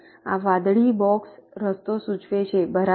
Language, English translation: Gujarati, this blue box indicates the path